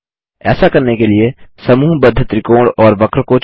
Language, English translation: Hindi, To do this, select the grouped triangle and curve